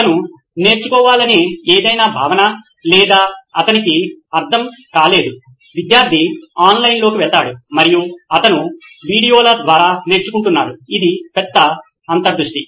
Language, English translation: Telugu, Any concept that he wants to learn or he is not understood, student goes online and he is learning through videos which was a big insight